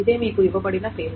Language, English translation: Telugu, This is the same name that is given to it